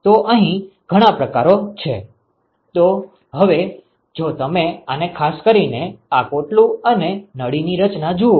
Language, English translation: Gujarati, So, there are several types here so, now if you look at this specifically this shell and tube design